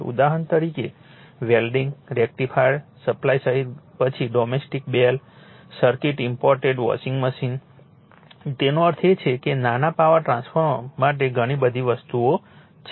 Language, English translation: Gujarati, Example, including welding and rectifier supply rectifiersupplies then domestic bell circuit imported washing machine it is I mean so many many things are there for small power transformer